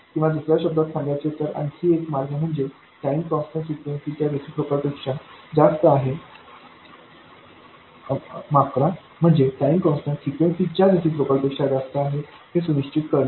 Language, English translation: Marathi, Or in other words, another way of saying that is to make sure that the time constant is much more than the reciprocal of the frequency